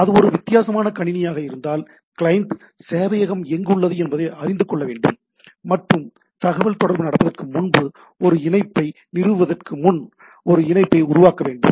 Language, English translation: Tamil, So, if it is a different machine, then the client server needs to know that the client needs to know where the server is and make a connection before establish a connection before the communication going on